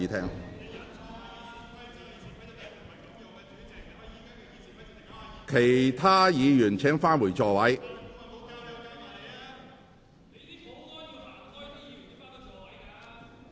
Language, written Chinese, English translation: Cantonese, 請其他議員返回座位。, Would other Members please return to your seats